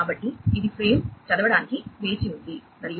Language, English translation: Telugu, So, it is waiting for reading the frame and